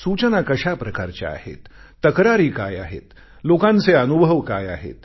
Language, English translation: Marathi, What are the kinds of suggestions, what are the kinds of complaints and what are the experiences of the people